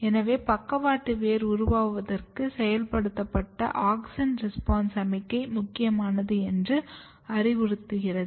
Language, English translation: Tamil, So, this suggests that activated auxin response signalling is important for lateral root formation